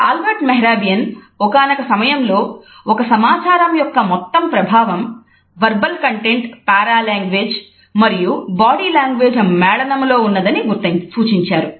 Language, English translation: Telugu, Albert Mehrabian at one moment had suggested that the total impact of a message is a combination of verbal content paralanguage and body language